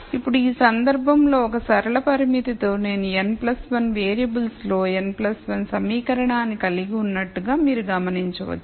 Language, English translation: Telugu, Now, you notice that in this case with one linear constraint I have n plus 1 equation in n plus 1 variables